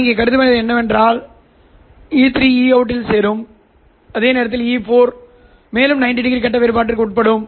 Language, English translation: Tamil, What I will assume here is that E3 will join E out as it is, whereas E4 will undergo another 90 degree phase difference